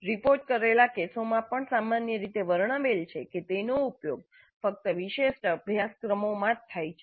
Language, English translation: Gujarati, Reported cases also generally describe its use in specific courses only